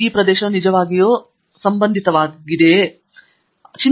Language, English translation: Kannada, Is this area really relevant